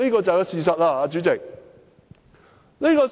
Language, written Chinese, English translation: Cantonese, 這便是事實，主席。, Those are the facts of the case President